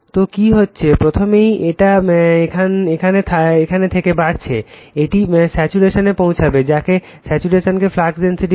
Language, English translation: Bengali, So, what is happening, first it is we are from here, we have increasing the it will reach to the saturation, we call saturation flux density